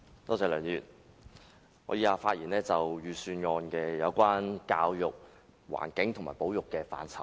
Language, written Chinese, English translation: Cantonese, 我以下會就財政預算案有關教育、環境及保育的範疇發言。, I will talk about the areas on education the environment and conservation covered in the Budget